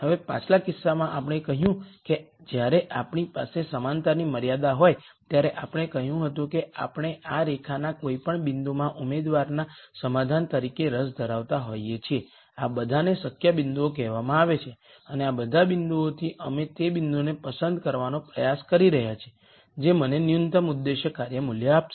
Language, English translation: Gujarati, Now in the previous case we said when we have an equality constraint we said we are interested in any point on this line as a candidate solution these are all called the feasible points and of all of these points we were trying to pick the point which will give me the minimum objective function value